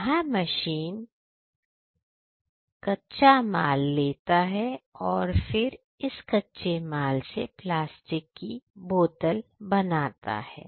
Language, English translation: Hindi, It takes the commands and then comes from the raw materials into plastic bottles